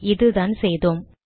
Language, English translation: Tamil, Okay, this is what we did